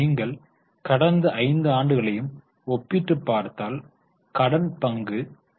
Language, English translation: Tamil, If you compare all the 5 years, the debt equity ratio increased the bid to 0